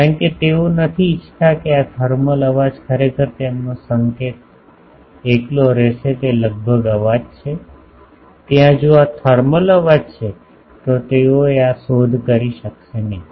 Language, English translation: Gujarati, Because, they do not want this thermal noise actually their signal will be solo it is almost a noise, there if this thermal noise comes then they would not be able to detective